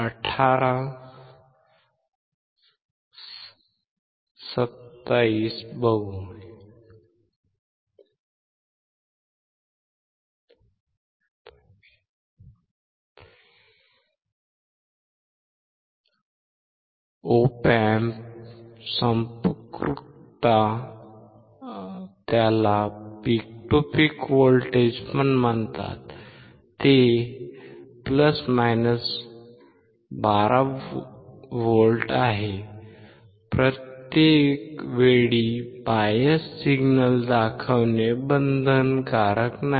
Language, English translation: Marathi, The Op Amp saturation voltage is a + 12V; It is not mandatory to show every time bias signal